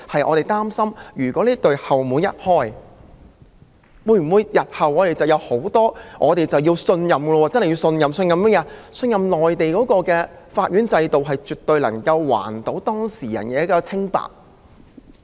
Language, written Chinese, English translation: Cantonese, 我們擔心的是這扇後門一旦打開，日後會否......我們可否信任內地的法院制度絕對能夠還當事人的清白？, Our concern is that once the back door is opened whether in the future Can we trust that the Mainlands court system can clear the name of the innocent?